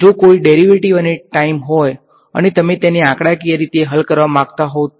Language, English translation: Gujarati, If there is a derivative and time and you want to solve it numerically you would